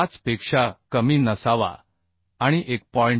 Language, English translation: Marathi, 75 and should not be more than 1